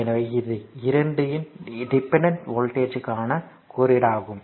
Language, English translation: Tamil, So, these 2 are symbol for your independent voltage sources right